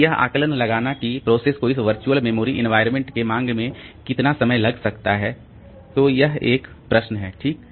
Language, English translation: Hindi, So, the prediction like how much time a process may take in a demand pay in this virtual memory environment so that is a question okay